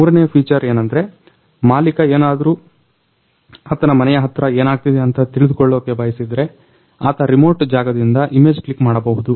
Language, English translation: Kannada, And the third feature is if the owner wants to see what is going on near nearby his house, he can click an image from a remote place